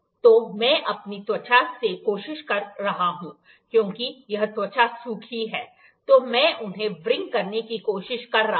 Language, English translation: Hindi, So, I am trying to rub it to my skin, because skin is dry here, then I am trying to wring them